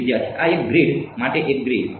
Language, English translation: Gujarati, One grid to this one grid